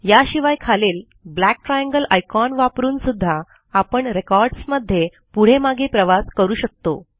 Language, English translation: Marathi, Or we can also use the black triangle icons in the bottom toolbar to navigate among the records